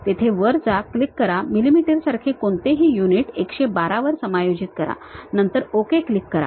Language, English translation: Marathi, Click go there, adjust it to 112 whatever the units like millimeters, then click Ok